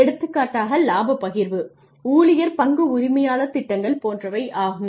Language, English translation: Tamil, For example, profit sharing, employee stock ownership plans etcetera